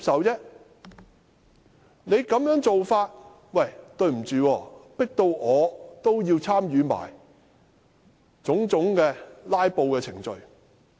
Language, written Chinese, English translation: Cantonese, 建制派這種做法，迫使我參與種種"拉布"程序。, Owing to this act of the pro - establishment camp I am forced to participate in filibustering